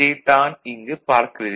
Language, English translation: Tamil, So, that is what you see over here